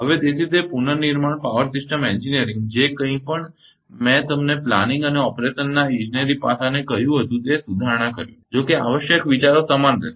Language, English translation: Gujarati, So, therefore, that restructure power system the engineering whatever I told you the engineering aspect of planning and operation have to be reformulated although essential ideas remain the same